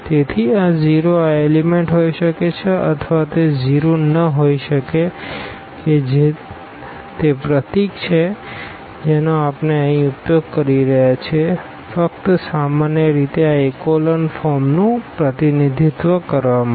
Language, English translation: Gujarati, So, this can be 0 these elements or they may not be 0 that is the symbol we are using here just to represent this echelon form in general